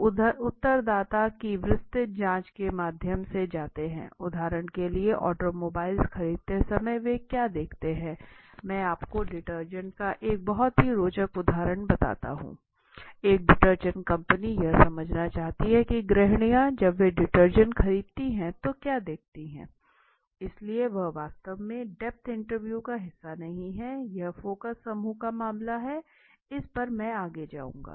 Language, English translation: Hindi, Now some of the applications again let me just go through it detailed probing of the respondent for example automobile purchases what do they looking in while by I tell you very interesting example of detergent a detergent company wanted to understand what do house wife look in when they purchase a you know detergent so when they in fact this is not a part of the exactly depth interview it was the case of the focus group which may be I will go next